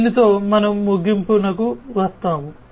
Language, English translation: Telugu, With this we come to an end